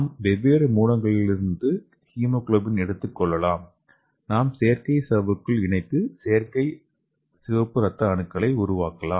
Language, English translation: Tamil, So we can take hemoglobin from different sources and we can encapsulate into this artificial membrane and which can act like your artificial red blood cells